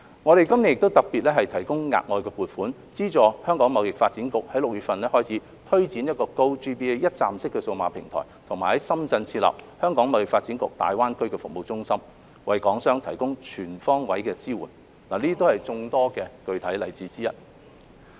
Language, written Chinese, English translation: Cantonese, 我們今年亦特別提供額外撥款，資助香港貿易發展局在6月份推展 "GoGBA" 一站式數碼平台及在深圳設立"香港貿發局大灣區服務中心"，為港商提供全方位支援，這些都是眾多具體例子之一。, This year we have also provided additional funding subsidizing the Hong Kong Trade Development Council HKTDC to launch the one - stop digital GoGBA platform in June and establish the HKTDC Greater Bay Area Centre in Shenzhen to provide comprehensive support to Hong Kong enterprises . These are some of the many concrete examples